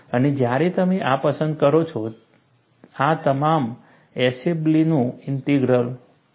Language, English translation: Gujarati, And when you do like this, this is your Eshelby's integral and what does the Eshelby's result says